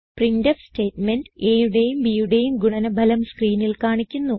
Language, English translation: Malayalam, This printf statement displays the product of a and b on the screen